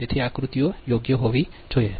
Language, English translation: Gujarati, so diagrams will be right